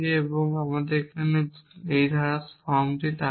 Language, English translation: Bengali, So, let us look at the clause form here